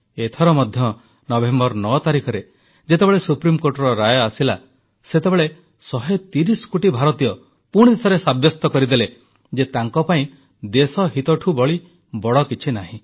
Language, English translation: Odia, This time too, when the Supreme Court pronounced its judgment on 9th November, 130 crore Indians once again proved, that for them, national interest is supreme